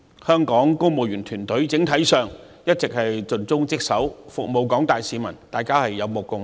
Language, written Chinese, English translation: Cantonese, 香港公務員團隊整體一直盡忠職守，服務廣大市民，大家有目共睹。, The civil service in Hong Kong has been serving the public faithfully and dutifully . This is something we all can see